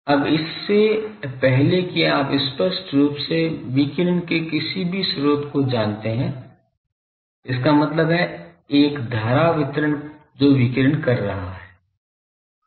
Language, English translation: Hindi, Now , before so obviously, you know any source of radiation; that means, a current distribution that is radiating